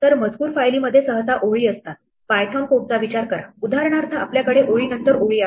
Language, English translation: Marathi, So, text file usually consists of lines; think of python code, for example, we have lines after lines after lines